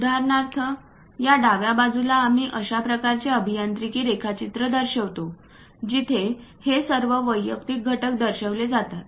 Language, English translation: Marathi, For example, on this left hand side we are showing such kind of engineering drawing where all these individual components are represented